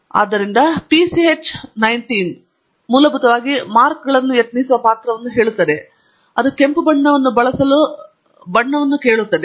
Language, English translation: Kannada, So, PCH19 is basically telling which character it should use for plotting the markers, and that, and the color tells the plot to use a red color